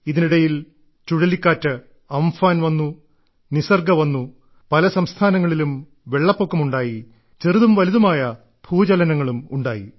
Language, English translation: Malayalam, Meanwhile, there were cyclone Amphan and cyclone Nisarg…many states had floods…there were many minor and major earthquakes; there were landslides